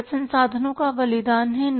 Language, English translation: Hindi, A cost is a sacrifice of resources